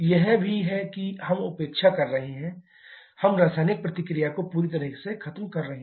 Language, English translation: Hindi, That is also there we are neglecting we are completely eliminating the chemical reaction